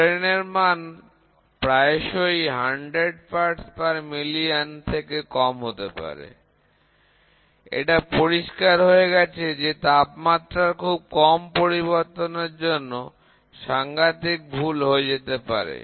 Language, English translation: Bengali, Since working strain may often be below 100 parts per million, it is clear that small changes of temperature could be very serious error